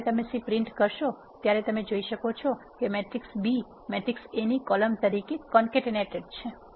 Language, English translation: Gujarati, When you print the C you can see that the matrix B has been concatenated as a column to the matrix A